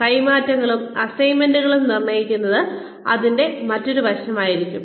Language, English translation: Malayalam, Determining transfers and assignments, that would be another aspect of this